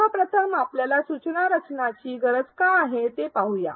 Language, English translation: Marathi, Let us first look at why at all we need instructional design